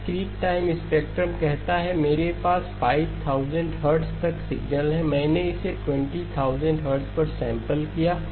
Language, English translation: Hindi, Discrete time spectrum says I have signal up to 5000 hertz, I have sampled it at 20,000 hertz